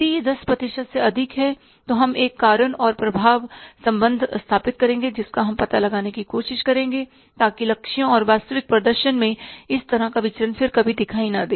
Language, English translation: Hindi, If it is more than 10% we will establish a cause and effect relationship will try to find out so that this kind of the deviations in the targets and the actual performance never appear again